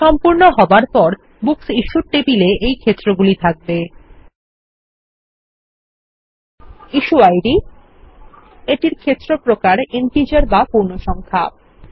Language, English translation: Bengali, When done, the Books Issued table will have the following fields: Issue Id, Field type Integer